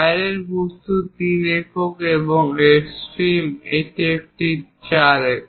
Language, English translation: Bengali, The outside object, 3 units and the extreme one this is 4 units